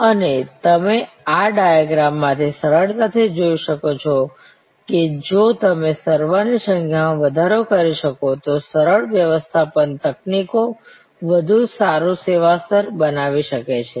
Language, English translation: Gujarati, And you can easily see from these diagrams, that simple management techniques can create a much better service level